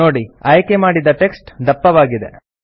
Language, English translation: Kannada, You see that the selected text becomes bold